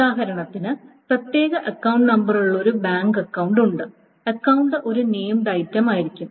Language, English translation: Malayalam, So for example, a bank account with the particular account number, the account may be a named item